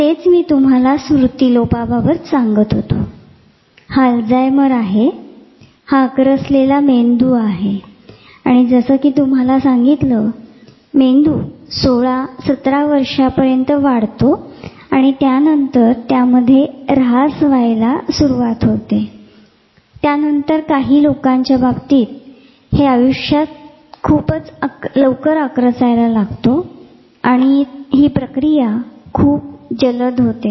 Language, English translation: Marathi, That is what I was telling you about dementia this is a alzheimer's this is a brain which is shrunken and as I said the brains grow till 16, 17 years of age in this synapsis then, pruning starts then they actually start shrinking right from very early in life for some people the process is faster